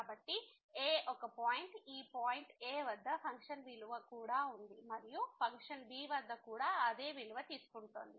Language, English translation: Telugu, So, this is the point at so, the function value at this point is here and the same value the function is taking at b